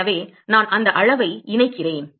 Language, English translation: Tamil, So, I plug in that quantity